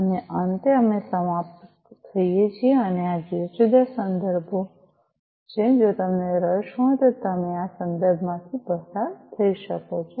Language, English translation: Gujarati, And finally, we come to an end and these are the different references; you know if you are interested you could go through these references